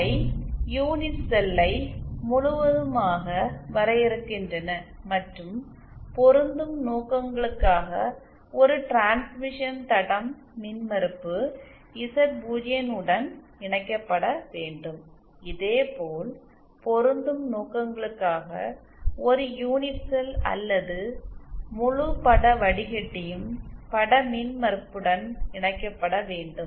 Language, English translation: Tamil, They completely define the unit cell and we have seen for matching purposes a transmission line is to be connected to impedance Z0, similarly for matching purposes a unit cell or the entire image filter needs to be connected to the image impedance